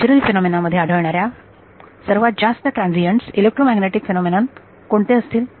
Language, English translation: Marathi, What is the most transient electromagnetic phenomena that you can think of natural phenomena